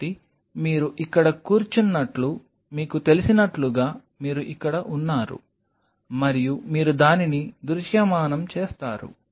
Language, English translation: Telugu, So, here is you like you know sitting there and you visualize it